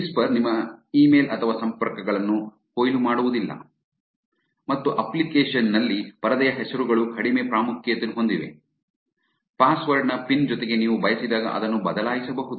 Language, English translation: Kannada, Whisper does not harvest your email or contacts and screen names are less prominent within the app you can also change it whenever you want along with the pin that takes place of the password